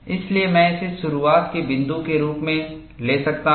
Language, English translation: Hindi, So, I could take this as a point, to start with